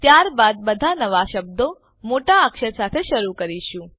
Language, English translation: Gujarati, And all new words followed should begin with an upper case